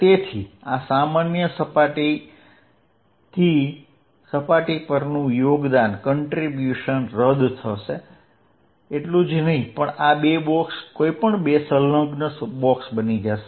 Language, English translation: Gujarati, So, the contribution on the surface from this common surface will cancels, not only this two boxes any two adjacent box will happen